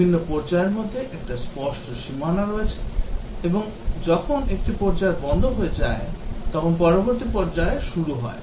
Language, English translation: Bengali, There is a clear demarcation between different phases, and when one phase stops the next phase begins